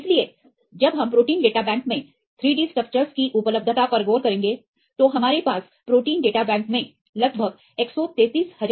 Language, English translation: Hindi, So, when we will be look into the availability of 3 D structures in protein data bank at the movement we have around a hundred and 33 thousand structures in protein data bank